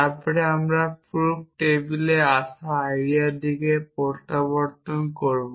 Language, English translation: Bengali, Then we will sort of reverts to the idea which comes on the proof table essentially